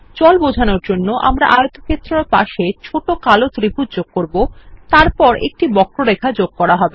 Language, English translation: Bengali, To give the effect of water, we shall add a triangle next to the rectangle and then add a curve